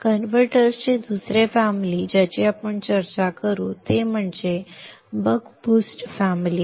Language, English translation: Marathi, The other family of converter that we will discuss is the Buck Boost family